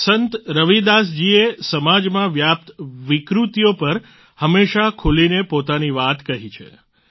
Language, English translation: Gujarati, Sant Ravidas ji always expressed himself openly on the social ills that had pervaded society